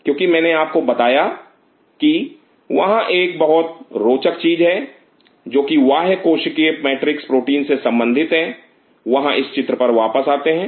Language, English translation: Hindi, Because I told you there is another very interesting thing which is related to this extracellular matrix protein there is coming back to this picture